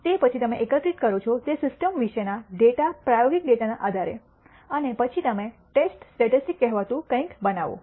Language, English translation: Gujarati, Then, based on a data experimental data about the system you collect and then you construct something called the test statistic